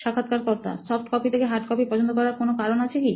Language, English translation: Bengali, Any reason why you prefer hard copy over soft copy